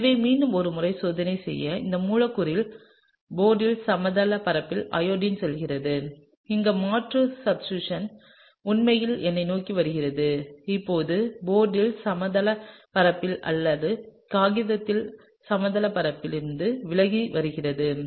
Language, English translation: Tamil, So, just to sort of check once again, this molecule has the iodine going inside the plane of the board and here the substituent is actually coming towards me or away from the plane of the board or the plane of the paper